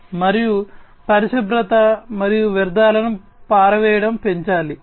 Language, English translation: Telugu, And there has to be increased cleanliness and waste disposal